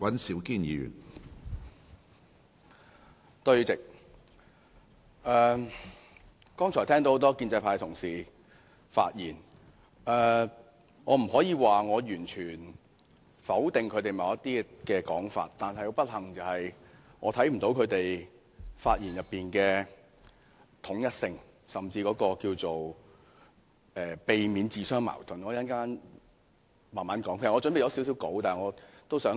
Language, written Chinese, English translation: Cantonese, 主席，聽過多位建制派同事剛才的發言，我不可以說我完全否定他們某些說法，但不幸的是我看不到他們的發言內容的統一性，也不見他們避免自相矛盾，我會慢慢解釋這點。, President having listened to the speeches made by a number of Honourable colleagues from the pro - establishment camp earlier I could not say that I disagree with all of their comments . But unfortunately I do not see any consistency in the content of their speeches nor do I see them avoiding to make contradictory comments . I will explain this later